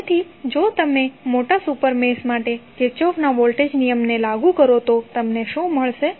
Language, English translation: Gujarati, So, if you apply Kirchhoff Voltage Law for the larger super mesh what you will get